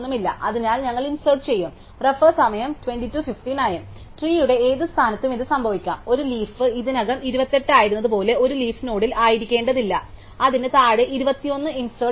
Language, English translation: Malayalam, So, we will insert it there, so it can happen at any position in the tree does not have to be at a leaf node like a 28, 28 was already a leaf and be inserted 21 below it